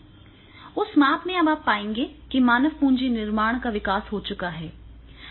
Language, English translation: Hindi, In that measurement also you will find that is the human capital creation has been chelom